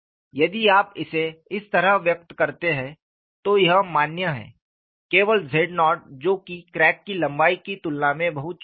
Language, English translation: Hindi, If you express it like this, this is valid only for z naught is very small compared to crack tip